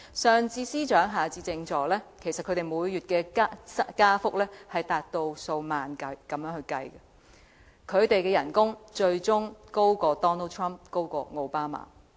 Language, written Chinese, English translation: Cantonese, 上至司長，下至政助，每月薪酬加幅以數萬元計，他們的薪酬最終高於 Donald TRUMP 及奧巴馬。, Those in the senior level like the Secretaries for Departments as well as those in the junior level likes Under Secretaries will enjoy a salary increase amounting to tens of thousand dollars and their salaries will eventually exceed those of Donald TRUMP and OBAMA